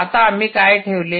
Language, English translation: Marathi, what did we put